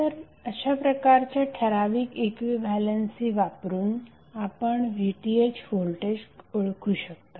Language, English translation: Marathi, So using this particular equilency you can identify the voltage of VTh how